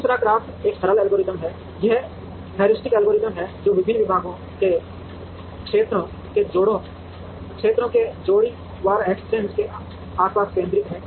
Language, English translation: Hindi, Second CRAFT is a simple algorithm, it is a heuristic algorithm it is centered around pair wise exchange of areas of the various departments